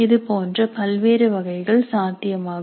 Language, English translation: Tamil, There are so many varieties are possible